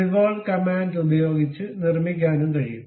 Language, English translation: Malayalam, One can also construct using a revolve command